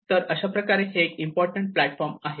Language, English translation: Marathi, So, in that way this is one of the important platform